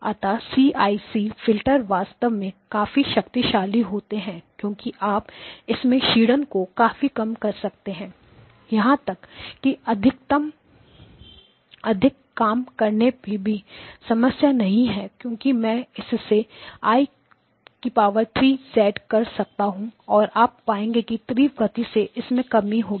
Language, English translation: Hindi, Okay, so the CIC filters are actually quite powerful because you can; if you tell me that reduce the attenuation even more not a problem I can do I cubed, I cubed of z, I cubed of z you will find that there is a faster droop